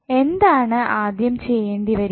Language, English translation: Malayalam, Next what we have to do